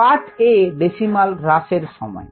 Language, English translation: Bengali, a, the decimal reduction time